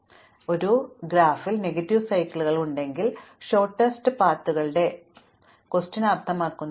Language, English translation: Malayalam, So, if I have negative cycles in a graph, the question of the shortest path does not even make a sense